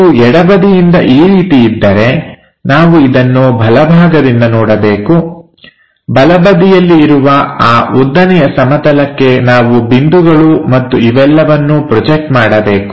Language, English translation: Kannada, If it is something like from left direction we would like to observe the right side, on to vertical plane of right side we have to project these points and so on